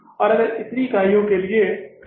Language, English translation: Hindi, And if this is for how many units